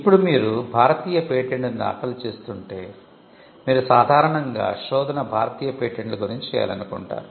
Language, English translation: Telugu, Now, if you are filing an Indian patent, then you would normally want the search to cover the Indian patents